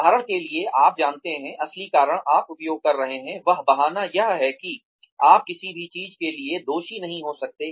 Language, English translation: Hindi, For example, you know, the real reason, you are using, that excuse is that, you cannot bear to be blamed for anything